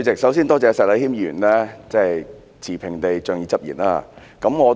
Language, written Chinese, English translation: Cantonese, 首先，多謝石禮謙議員持平地仗義執言。, First of all I thank Mr Abraham SHEK for speaking fairly to uphold justice